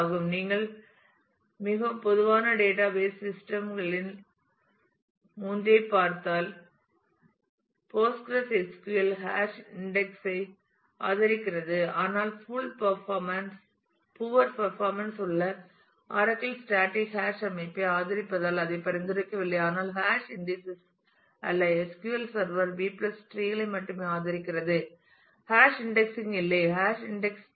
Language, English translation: Tamil, And if you just look into 3 of the very common database systems PostgreSQL does support hash index, but recommends does not recommend it because of the poor performance oracle supports static hash organization, but not hash indices SQL server supports only B + trees no hash index space scheme